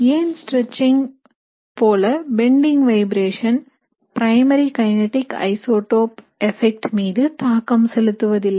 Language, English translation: Tamil, So which is why the bending vibrations do not influence the primary kinetic isotope effect as much as the stretching